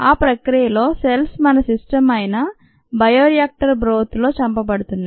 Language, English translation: Telugu, during that process the cells are being killed in the bioreactor broth